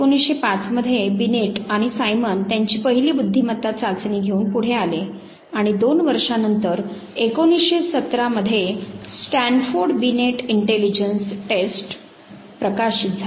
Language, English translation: Marathi, 1905 when Binet and Simon they came forward with their first intelligence test and couple of years later in 1917 Stanford Binet intelligence test got published